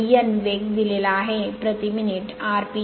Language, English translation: Marathi, And N that speed is given is rpm revolution per minute